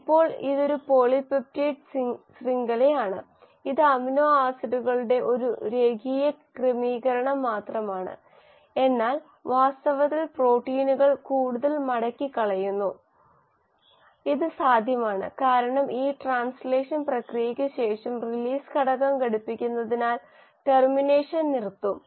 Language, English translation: Malayalam, Now this is just a polypeptide chain, it is just a linear arrangement of amino acids but in reality the proteins are much more folded and that is possible because after this process of translation has happened, the termination will stop because of the binding of release factor